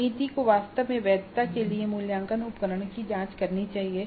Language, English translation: Hindi, So the committee is supposed to actually check the assessment instrument for validity